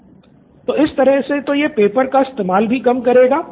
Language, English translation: Hindi, So in this way it will also reduce papers